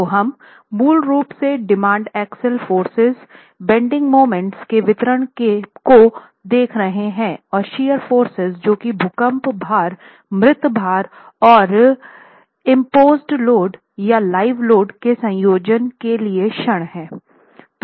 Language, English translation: Hindi, So, we are basically looking at arriving at a distribution of demand, axial forces, bending moments and shear forces for a combination of earthquake load, dead load and imposed load of the live load itself